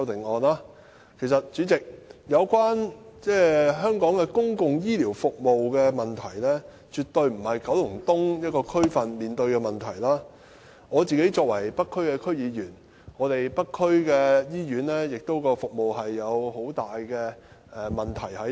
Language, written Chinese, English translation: Cantonese, 代理主席，有關香港公共醫療服務的問題，絕對不是九龍東一個區所面對的問題，作為北區區議員，我認為北區醫院的服務亦存在很大問題。, Deputy President Kowloon East is not the only district in Hong Kong facing public healthcare service problems . As a District Council Member of the North District I think there are many problems with the services of the North District Hospital too